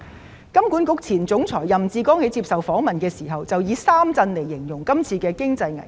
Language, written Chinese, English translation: Cantonese, 香港金融管理局前總裁任志剛在接受訪問時，以三震來形容今次經濟危機。, During an interview Joseph YAM the former Chief Executive of the Hong Kong Monetary Authority described the current economic crisis as having three shocks . The first shock is supply shock ie